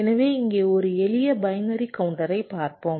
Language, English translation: Tamil, ok, fine, so let us look at a simple binary counter here